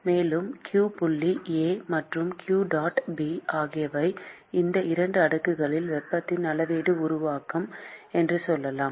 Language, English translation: Tamil, And let us say that the q dot A and q dot B are the volumetric generation of heat in these 2 slabs